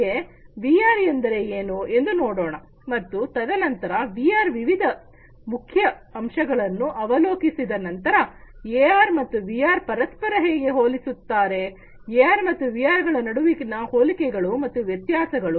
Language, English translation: Kannada, Now, let us look at what is VR and later on, you know, after we have gone through the different highlights of VR, we will see that how AR and VR they compare between each other, what are the similarities between AR and VR and what are the differences